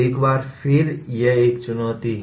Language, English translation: Hindi, Once again it is a challenge